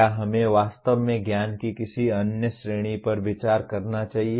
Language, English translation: Hindi, Should we really consider any other category of knowledge